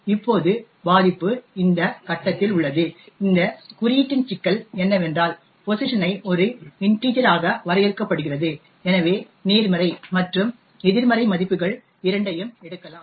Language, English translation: Tamil, Now the vulnerability is at this point, problem with this code is that pos is defined as an integer and therefore can take both positive as well as negative values